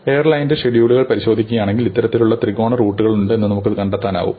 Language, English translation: Malayalam, If you look at airline's schedules in airlines, you will find that there were these kind of triangular routes